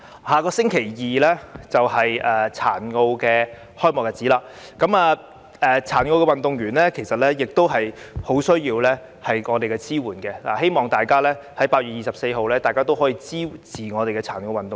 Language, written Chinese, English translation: Cantonese, 下星期二是殘奧開幕的日子，殘奧運動員其實亦十分需要我們的支援，希望大家可在8月24日支持我們的殘奧運動員。, The Paralympic Games will begin next Tuesday . In fact Paralympic athletes also need our support badly so I hope we will support our Paralympic athletes on 24 August